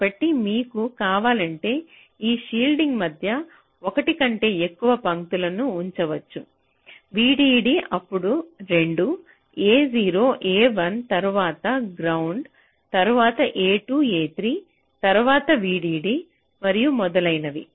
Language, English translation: Telugu, so if you want, you can keep more than one lines between these shields: v d d, then two, a zero, a one, then ground, then a two a three, then v d d, and so on